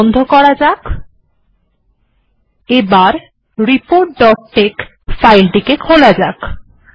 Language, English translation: Bengali, Now I will close this but I will open report dot tex